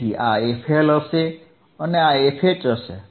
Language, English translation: Gujarati, So, this one would be fL right and this one would be f H ok